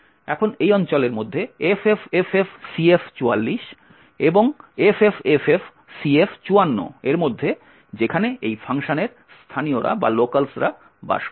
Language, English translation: Bengali, Now within this particular region between ffffcf44 and ffffcf54 is where the locals of this particular function reside